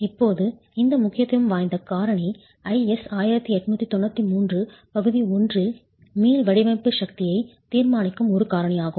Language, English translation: Tamil, Now, this importance factor is a factor that goes in to decide the elastic design force in IS 1893 Part 1